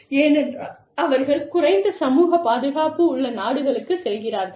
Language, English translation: Tamil, Because, they go to countries, where there are lower social protections